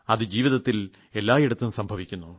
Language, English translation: Malayalam, And this happens everywhere in life